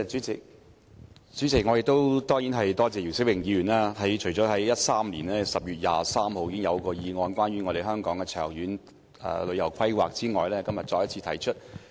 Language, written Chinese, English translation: Cantonese, 主席，我當然要多謝姚思榮議員，他除了在2013年10月23日提出一項關於香港旅遊業長遠規劃的議案之外，今天再次提出議案。, President I certainly have to thank Mr YIU Si - wing . In addition to moving a motion on the long - term planning of Hong Kongs tourism industry on 23 October 2013 he moved another motion today